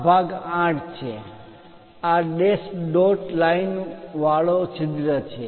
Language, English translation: Gujarati, This part is 8; this is the hole with dash dot lines